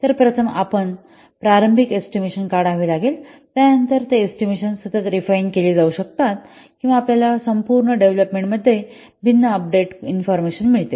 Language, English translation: Marathi, So you find, first you have to make an initial estimate, then the estimates they can be refined continuously as you get different information, updated information throughout the development lifecycle